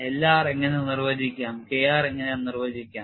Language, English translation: Malayalam, How to define L r, how to define K r